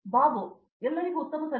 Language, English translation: Kannada, Good evening everyone